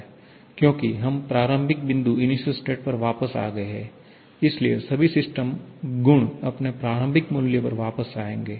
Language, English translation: Hindi, Because we are back to the initial point, so all the system properties will go back to its initial value